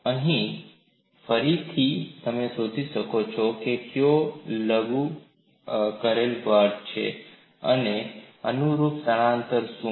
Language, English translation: Gujarati, Here, again you can find out what is the force which is acting and what is the corresponding displacement